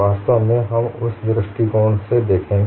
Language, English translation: Hindi, In fact, we would look at from that perspective